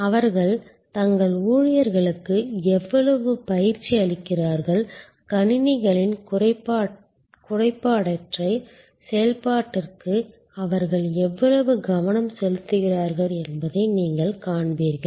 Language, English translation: Tamil, You will see how much training they put in to their employees, how much care they take for the flawless operation of the systems